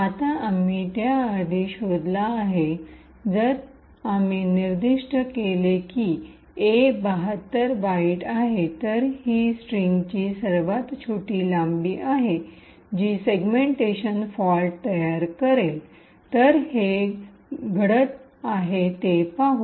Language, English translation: Marathi, if we specified that A is 72 bytes, then this is the smallest length of the string which would create a segmentation fault, so let us see this happening